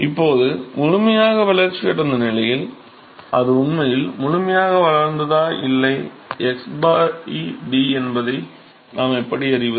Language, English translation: Tamil, Now, how do we know whether it is really fully developed or not x by d in the fully developed regime